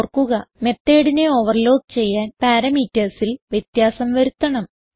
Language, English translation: Malayalam, So remember that to overload method the parameters must differ